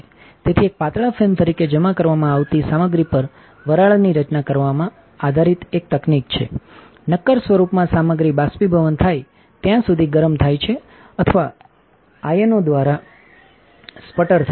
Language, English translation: Gujarati, So, is a technique based on the formation of vapor on the material to be deposited as a thin film, the material in solid form is either heated until evaporation right or sputtered by ions